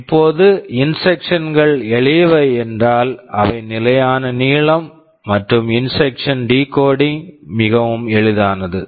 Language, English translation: Tamil, Now if the instructions are simple they are fixed length, then decoding of the instruction becomes very easy